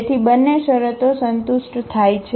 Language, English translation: Gujarati, So, both the conditions are satisfied